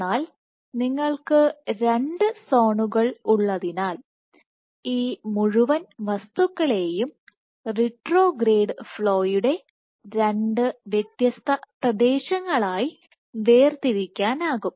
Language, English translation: Malayalam, But what you have two zones so you can segregate this entire thing into two distinct regions of retrograde flow